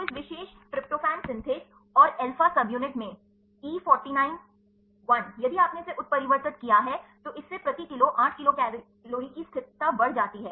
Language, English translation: Hindi, So, in this particular tryptophan synthase and alba subunit that E 49 I, if you mutated this increases stability of 8 kilo cal per mole